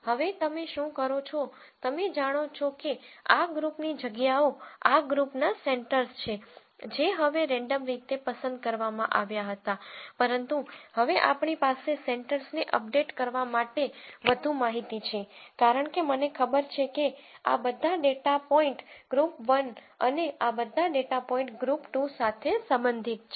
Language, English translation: Gujarati, Now, what you do is, you know that these group positions are the centres of these groups were randomly chosen now, but we have now more information to update the centres because I know all of these data points belong to group 1 and all of these data points belong to group 2